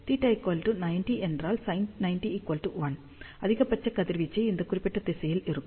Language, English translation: Tamil, And if theta is equal to 90, sin 90 will be equal to 1 maximum radiation in this particular direction